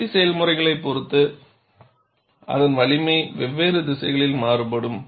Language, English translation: Tamil, Depending on the manufacturing process, its strength will vary on different directions